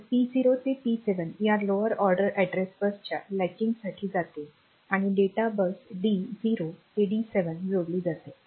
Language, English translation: Marathi, So, P 0 to 7 goes to this latching of latching of this lower order address bus here and the data bus is connected to D0 to D7